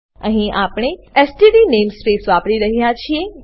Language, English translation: Gujarati, Here we are using std namespace